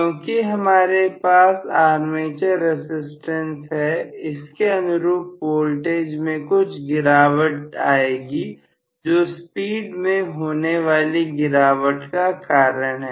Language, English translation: Hindi, But because if I have an armature resistance there is going to be some drop in the voltage which will also cause a drop in the speed